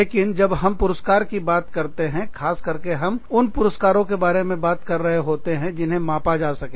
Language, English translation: Hindi, But, when we talk about rewards, specifically, we are talking about rewards, that can be measured